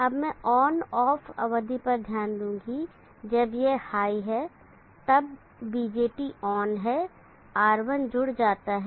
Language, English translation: Hindi, Now let me consider this on off periods during the time when this is high the BJT is on R1 gets connected